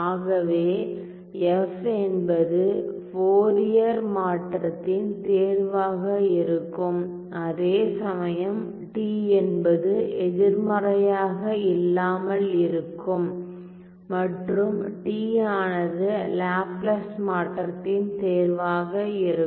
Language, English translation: Tamil, So, f will be a choice of my Fourier transform while t is non negative t will be the choice of my Laplace transform